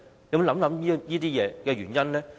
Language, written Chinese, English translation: Cantonese, 有否想過原因呢？, Has it thought about the reasons?